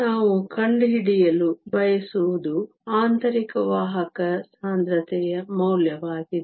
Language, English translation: Kannada, What we want to find is the value of the intrinsic carrier concentration